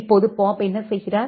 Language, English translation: Tamil, Now, what Bob does